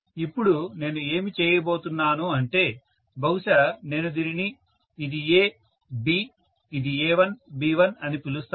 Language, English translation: Telugu, Right Now, what I am going to do is let me probably name this, this is A, B, this is A1 and B1